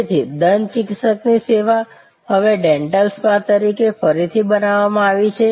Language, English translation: Gujarati, So, a dentist service is now recreated by the way as a dental spa